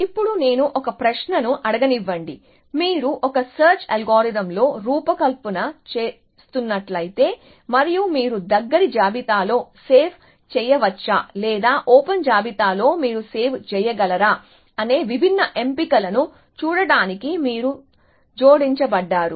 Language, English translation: Telugu, Now, so let me now ask a question has to, if you were designing on a search algorithm and you are add to look at different options of whether you can save on the close list or whether you can save on the open list, what would be your choice